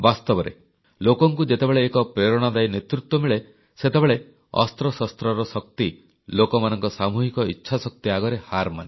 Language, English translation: Odia, The fact is, when people are blessed with exemplary leadership, the might of arms pales in comparison to the collective will power of the people